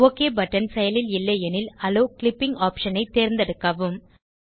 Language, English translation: Tamil, If the Ok button is not active, check the Allow Clipping option